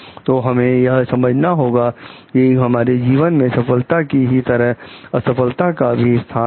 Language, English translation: Hindi, So, we have to understand like failure is as much a part of our life as it is success